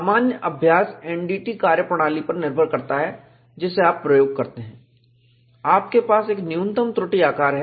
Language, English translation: Hindi, General practice is, depending on the NDT methodology that we use, you have a minimum flaw size